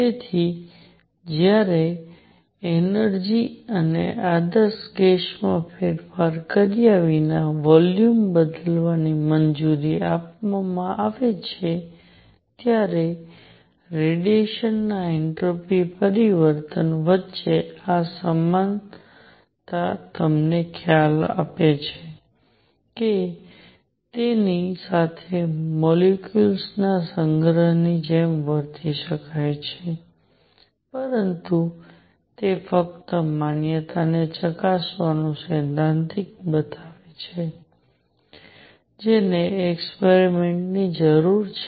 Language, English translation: Gujarati, So, this analogy between entropy change of the radiation when it is allowed to changes volume without change in the energy and ideal gas gives you an idea that it can be treated like collection of molecules, but that is just a showing it theoretical to to check the validity one needs experiments